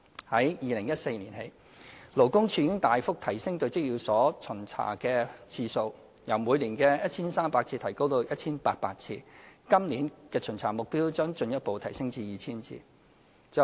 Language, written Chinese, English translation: Cantonese, 自2014年起，勞工處已大幅提升對職業介紹所的巡查次數，由每年 1,300 次增加至 1,800 次，今年的巡查目標將進一步提升至 2,000 次。, Since 2014 LD has substantially increased the number of inspections targeting employment agencies from 1 300 to 1 800 annually . The target of inspection this year will be raised further to 2 000